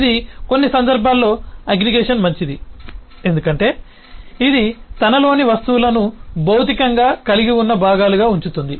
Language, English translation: Telugu, It is in some cases aggregation is better because it keeps the objects within itself as as physically contained part